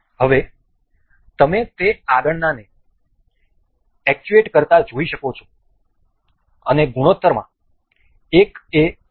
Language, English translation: Gujarati, Now, you can see it the further the next one actuates and as in the ratio 1 is to 1